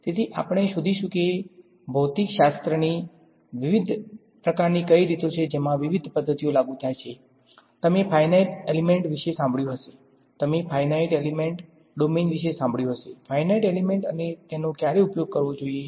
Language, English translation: Gujarati, So, we will find out what are these different kinds of regimes of physics in which different methods get applied; you heard of finite element, you heard of a finite difference time domain, finite element, when should use which